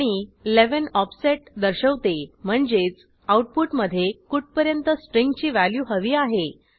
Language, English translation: Marathi, And 11 specify the offset upto where we want the string to be in the output